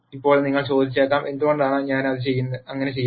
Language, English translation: Malayalam, Now, you might ask; why would I do something like that